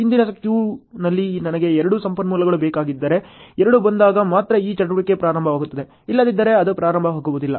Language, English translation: Kannada, Suppose if I need two resources in the predecessor queue, then only when the two comes in then only this activity will start otherwise it will not start